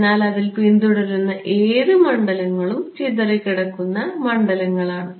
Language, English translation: Malayalam, So, whatever fields are following on it are scattered fields right